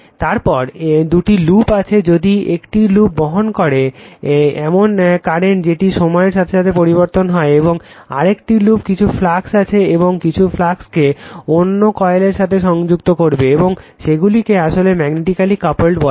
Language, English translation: Bengali, Then two loops are there, if one loop is carrying that your what you call that time varying current, and another loop that some flux will be it will links some flux to the other coil right, and they are said to be actually magnetically coupled